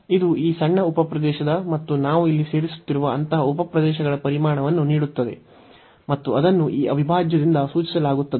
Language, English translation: Kannada, So, this gives the volume of this smaller sub region and such sub regions we are adding here and that will be denoted by this integral, so that will represent the volume